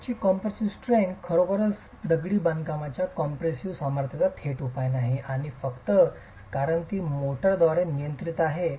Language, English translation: Marathi, The compressive strength of the unit therefore is really not a direct measure of the compressive strength of the masonry and that is simply because it is controlled by the motor